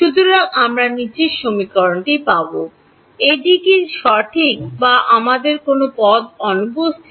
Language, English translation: Bengali, Is that right or are we missing any term